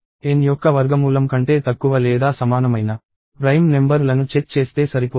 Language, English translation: Telugu, Go only till prime numbers that are square; less than square root of N